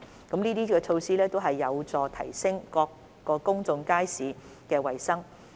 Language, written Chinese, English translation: Cantonese, 這些措施均有助提升各公眾街市的衞生。, All these measures help improve the hygiene of public markets